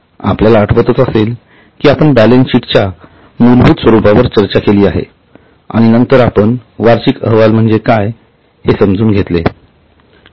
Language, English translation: Marathi, If you remember we have discussed the basic format of balance sheet and then we went on to understand what is annual report